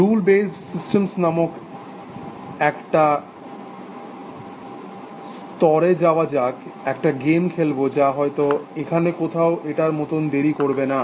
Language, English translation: Bengali, Let to an area called rule based systems which we will look at, will also do game playing, may perhaps not as late as this, may be somewhere here